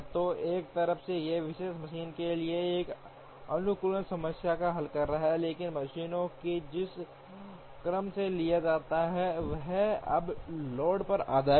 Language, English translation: Hindi, So, on the one hand it solves an optimization problem for a particular machine, but the order in which the machines are taken will is now based on the loads